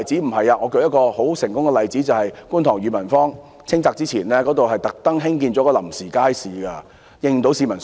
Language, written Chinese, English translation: Cantonese, 並不是，我舉一個很成功的例子，就是在觀塘裕民坊清拆前，政府特地興建了一個臨時街市，應付市民所需。, That is not the case . Let me cite an example of a great success . That is before the clearance of Yue Man Square in Kwun Tong the Government had especially built a temporary market to meet the peoples needs